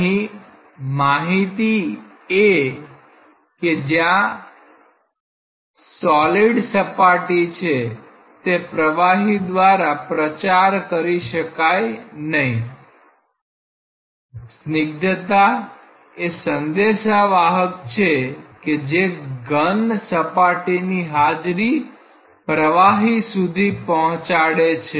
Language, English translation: Gujarati, Because, the message that the solid boundary is there cannot be propagated through the fluid; viscosity is that messenger which propagates the presence of the solid wall into the fluid